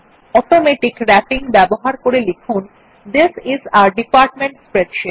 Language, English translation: Bengali, Using Automatic Wrapping type the text, This is a Department Spreadsheet